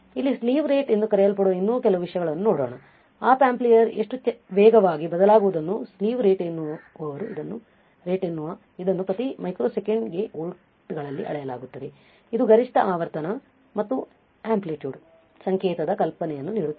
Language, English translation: Kannada, So, let us see few more things one is called slew rate, what is it the slew rate is how fast the Op amp can change and it is measure in volts per microseconds right this will give you an idea of maximum frequency and amplitude signal the output can handle without distortion right